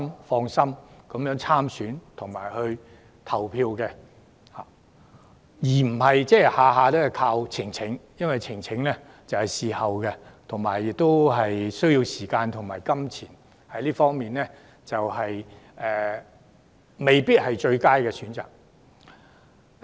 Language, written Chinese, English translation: Cantonese, 單靠選舉呈請這個途徑並不足夠，因為呈請須在事發後才提出，申請者亦須付上時間和費用，因此未必是最佳的選擇。, The mechanism of election petition is not adequate because election petitions can only be lodged after an election and one has to spend time and money to lodge a petition and hence it may not be the best option